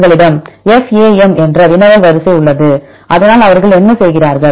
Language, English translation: Tamil, We have the query sequence FAM and so on what they do